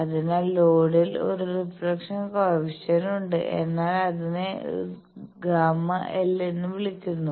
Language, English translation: Malayalam, So, there is a reflection coefficient at the load, but that is called gamma l